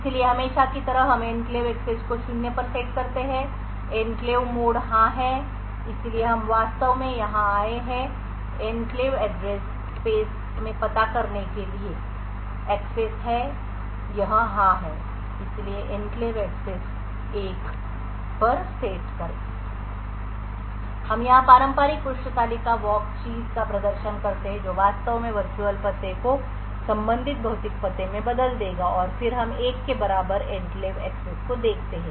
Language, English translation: Hindi, So as usual we set the enclave access to zero the enclave mode is yes so we actually come here is the access to address in the enclave address space this is yes so set enclave access to 1 we go here perform the traditional page table walk thing which will actually convert the virtual address to the corresponding physical address then we look at the enclave access equal to 1